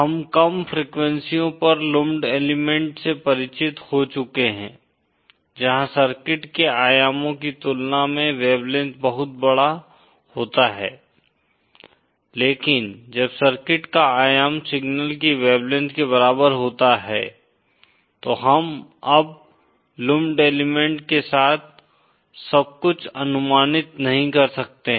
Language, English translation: Hindi, We have been familiarised with lumped elements at low frequencies where the wavelength is much larger as compared to the dimensions of the circuit but when the dimension of the circuit is comparable to the wavelength of the signal, we can no longer approximate everything with lumped element